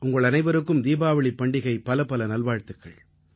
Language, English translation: Tamil, I once again wish you all the very best on this auspicious festival of Diwali